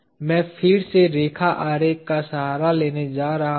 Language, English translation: Hindi, Again I am going to resort to the line diagram